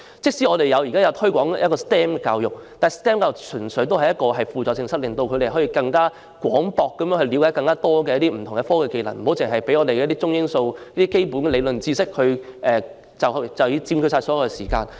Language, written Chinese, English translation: Cantonese, 即使我們現時推廣 STEM 教育，但 STEM 教育純屬輔助性質，令學生更廣泛了解不同的科技及技能，不容許中英數等基本理論知識佔據所有上課時間。, Although the Government is promoting STEM education it is only supplementary in nature . STEM education enables students to acquire a wider scope of knowledge of various kinds of technology and skills . It prevents teaching of the basic theoretical subjects such as Chinese Language English Language and Mathematics to take up all of the teaching hours